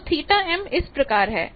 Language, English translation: Hindi, So, theta m is this